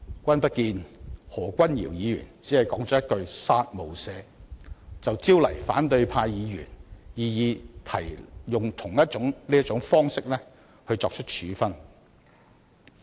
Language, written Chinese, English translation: Cantonese, 君不見何君堯議員只是說了一句"殺無赦"，便招來反對派議員試圖利用同一種方式作出處分？, Members of the opposition camp have attempted to adopt the same method to seek punishment of Dr Junius HO when he used the phrase kill without mercy